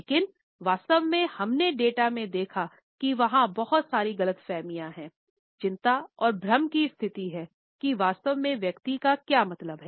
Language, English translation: Hindi, But what we have actually seen in the data, is that there is an immense amount of misunderstanding, anxiety and confusion on what did that person really mean